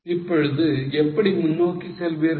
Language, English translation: Tamil, How will you go ahead